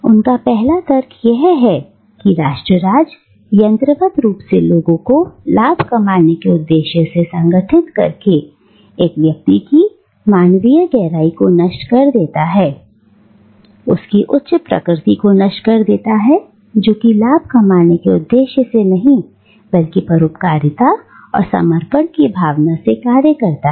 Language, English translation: Hindi, His first argument is that nation state, by mechanically organising people for the sole purpose of profit making, destroys the human depth of an individual and kills his higher nature which is characterised not by a desire to make profit but by altruism and self sacrifice